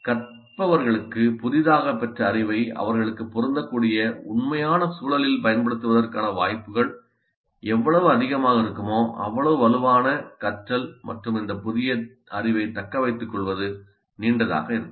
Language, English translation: Tamil, The more the opportunities for the learners to apply their newly acquired knowledge in real contexts that are relevant to them, the stronger will be the learning and the longer will be the retaining of this new knowledge